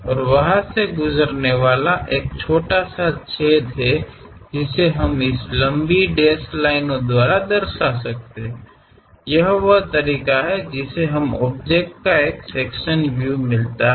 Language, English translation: Hindi, And there is a tiny hole passing through that, that we can represent by this long dash dashed line; this is the way we get a sectional view of the object